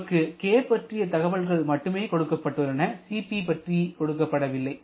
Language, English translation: Tamil, We are just given with the information of k not Cp